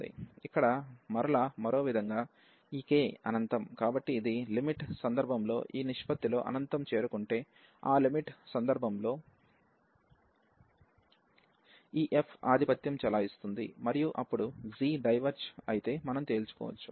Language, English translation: Telugu, So, if this is approaching to infinity in the limiting case this ratio, so in that case this f is dominating and then if we can conclude that if g diverges